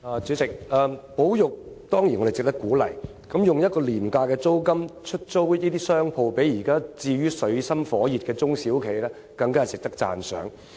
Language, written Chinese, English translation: Cantonese, 主席，保育當然值得鼓勵，用廉價租金出租商鋪給處於水深火熱的中小企，更值得讚賞。, President conservation efforts should certainly be encouraged but leasing shops at low rents to small and medium enterprises with operational difficulties is equally commendable